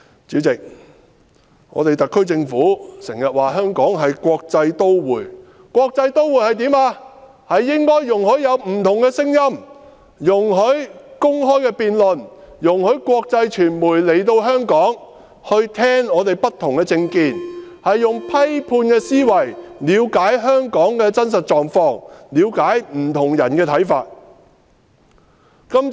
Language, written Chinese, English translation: Cantonese, 主席，特區政府經常說香港是國際都會，國際都會應該容許有不同的聲音，容許公開辯論，容許國際傳媒來香港聽取我們不同的政見，用批判的思維了解香港的真實狀況，了解不同人士的看法。, President the SAR Government often stresses that Hong Kong is an international city and an international city should allow different voices allow open debate allow the international media to come to Hong Kong and listen to our diversified political views and use their critical thinking to understand the real situation of Hong Kong as well as the views of different people